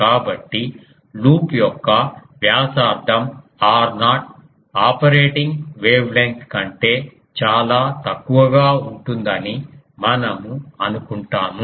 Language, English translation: Telugu, So, we assume that r naught the radius of the loop is much less than the much much less than the operating wave length